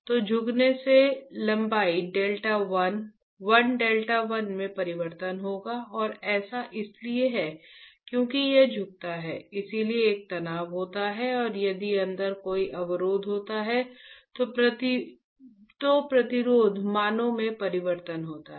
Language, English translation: Hindi, So, bending will cause the change in length delta l, l delta l and there is because it is bends there is a stress and if there is a resistor inside, there is a change in the resistance values